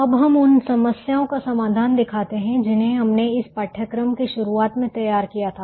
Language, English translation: Hindi, we now show this solution to some of the problems that be formulated right at the beginning of this course